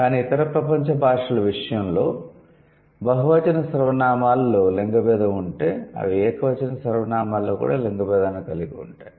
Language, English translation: Telugu, But in case of any other world's languages, if there is a gender distinction in the plural pronouns, they also have a gender distinction in the singular pronouns